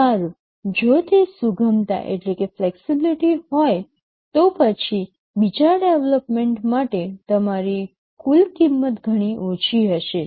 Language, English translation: Gujarati, Well if that flexibility is there, then possibly for the second development your total cost would be much less